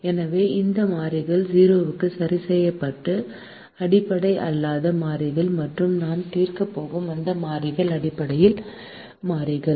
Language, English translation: Tamil, so those variables that are fixed to zero are the non basic variables and those variables that we are going to solve are the basic variables